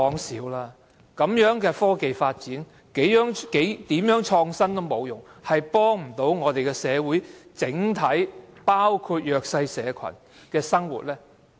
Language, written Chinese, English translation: Cantonese, 這樣的科技發展，如何創新也沒有用處，不能幫助整體社會，不能改善弱勢社群的生活。, Technology development is useless no matter how innovative it is as long as it cannot help society and improve the living of the disadvantaged